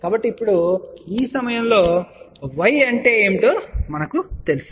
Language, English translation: Telugu, So now, at this point we know what is y